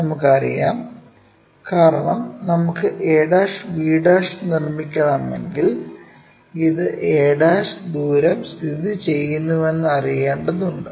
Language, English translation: Malayalam, And, we know the because if we want to construct a' b' we need to know how far this a' is located